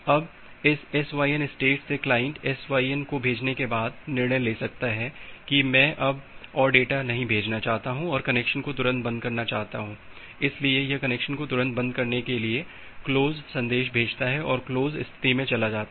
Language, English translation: Hindi, Now from this SYN state sent state client can decide after sending the SYN that I do not want to send any more data want to immediately close the connection, so it may use a close message to close the connection immediately and move to the close state